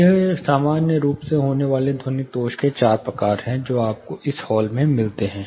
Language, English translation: Hindi, These are four commonly you know incurred acoustical defects which you find in a hall